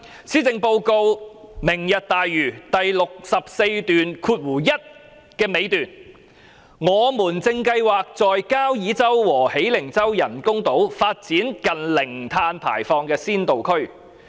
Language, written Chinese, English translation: Cantonese, 施政報告有關"明日大嶼"的部分，在第641段最後部分指出："我們正計劃在交椅洲和喜靈洲人工島發展近零碳排放的先導區。, In the section about Lantau Tomorrow in the Policy Address the last part in paragraph 641 reads We plan to develop near carbon - neutral pilot zones on the artificial islands at Kau Yi Chau and Hei Ling Chau